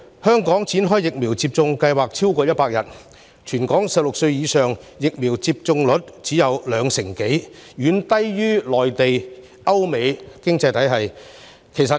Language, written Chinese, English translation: Cantonese, 香港的疫苗接種計劃已展開超過100天，但全港16歲或以上人士的疫苗接種率卻只有兩成多，遠低於內地及歐美等經濟體系。, The vaccination programme in Hong Kong has been implemented for more than 100 days but the vaccination rate for people aged 16 or above in Hong Kong is only over 20 % which is much lower than other economies such as the Mainland Europe and the United States